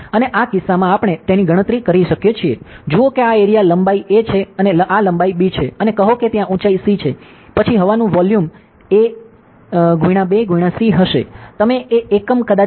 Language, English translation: Gujarati, And in this case we could calculate it as; see if the this is area a length a and this is length b and say there is a height c; then the volume of air will be a into b into c ok; whatever unit, may be could be in metre or whatever it is